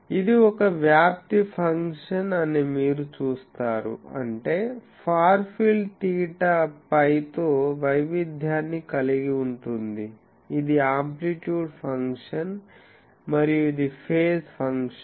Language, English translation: Telugu, You see this is an amplitude function so; that means, far field has an variation with theta phi that is amplitude function and this is the phase function